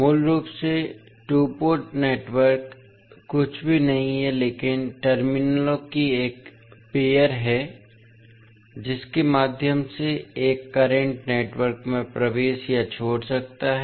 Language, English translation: Hindi, Basically, the two port network is nothing but a pair of terminals through which a current may enter or leave a network